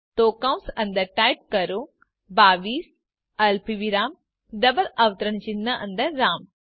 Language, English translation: Gujarati, So within parentheses type 22 comma in double quotes Ram